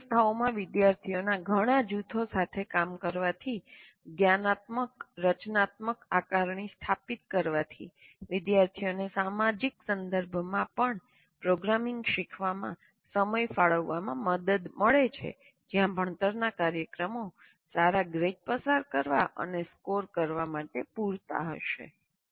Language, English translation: Gujarati, Working with several groups of students at different institutions established, metacognitive, formative assessment helps students plan and invest time in learning programming even in the social context where learning programs will be enough to pass and score good grades